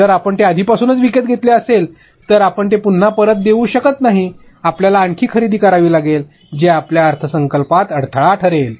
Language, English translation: Marathi, If you already purchased it, then you again cannot give it back, you will have to purchase more, so your budget is getting hampered